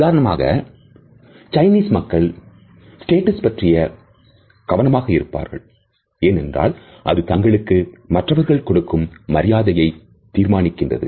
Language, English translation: Tamil, For example, Chinese people really care for status this is what determines if you deserve respect